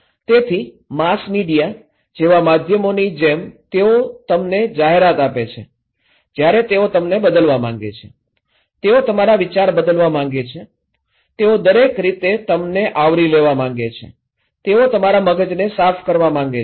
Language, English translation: Gujarati, So, like media like mass media when they give you advertisement, they want to change you, they want to change your mind, they want to cover you in every way every aspect, they want to brainwash you